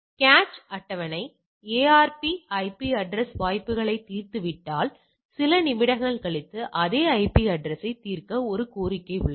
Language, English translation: Tamil, So, cache table if the ARP is just resolved an IP address chances that are few moments later there is a request to resolve the same IP address